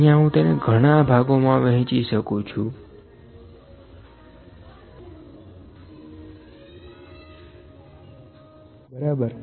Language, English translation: Gujarati, I can see I can divide into multiple parts here, ok